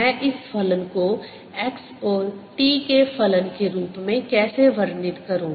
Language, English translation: Hindi, i am writing partial because y is a function of x and t both